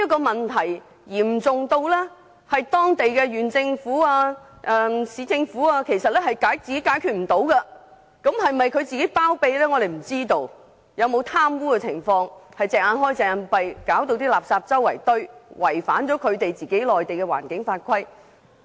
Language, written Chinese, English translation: Cantonese, 問題已嚴重至當地的縣政府、市政府無法解決，不知道當中是否涉及包庇、貪污，以致當地政府"睜一隻眼閉一隻眼"，令垃圾四處堆積，違反內地的環境法規。, The problem has reached such serious dimensions that even the county and municipal governments are no longer able to tackle . We simply do not know whether this problem involves any corruption and connivance and whether the local governments are thus made to tolerate the heaping of rubbish against Mainland environmental legislation